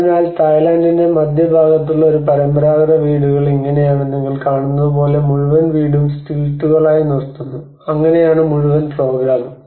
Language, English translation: Malayalam, So this is how a traditional houses in the central parts of Thailand which you see like you have the whole house is raised in stilts, and that is how the whole program